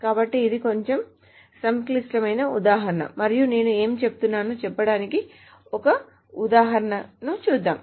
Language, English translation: Telugu, So it is a little complicated example and let me go over an example to say what I have been saying